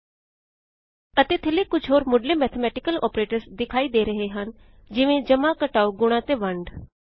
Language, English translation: Punjabi, And at the bottom, we see some basic mathematical operators such as plus, minus, multiplication and division